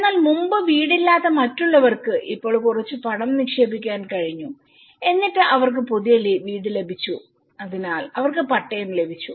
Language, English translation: Malayalam, But now, the other people who were not having a house but now they could able to put some money and they got a new house so they got the patta